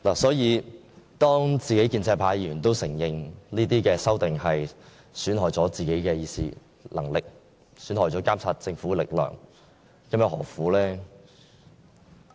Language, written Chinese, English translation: Cantonese, 所以，當建制派議員亦承認有關修訂會損害自己的議事職能及監察政府的力量，這又何苦呢？, Even a Member of the pro - establishment camp also has to admit that the amendments will compromise our duties to debate on policies and our role to monitor the Government . But why the pro - establishment Members still have to do so?